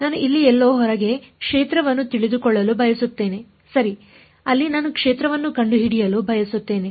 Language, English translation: Kannada, I want to know the field somewhere outside here right that is where I want to find out the field